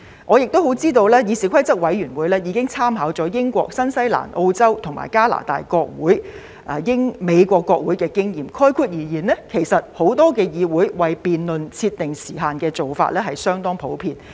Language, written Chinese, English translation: Cantonese, 我亦知道議事規則委員會已經參考了英國、新西蘭、澳洲、加拿大及美國國會的經驗，概括而言，很多議會也會為辯論設定時限，這做法是相當普遍的。, I am also aware that the Committee on Rules of Procedure has already made reference to the experience of the respective parliamentary institutions in the United Kingdom New Zealand Australia Canada and the United States . In sum many parliamentary institutions have also specified time limits on debates and this is a rather common practice